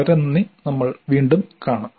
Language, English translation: Malayalam, Thank you very much and we will meet you again